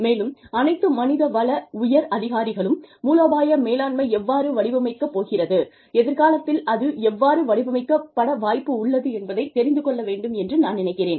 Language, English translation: Tamil, And, I feel, all human resource managers, should know, how it is going to shape up, how it is likely to shape up, in the future